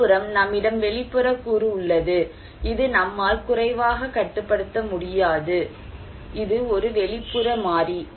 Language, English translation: Tamil, On the other hand, we have external one which we cannot less control, is an exogenous variable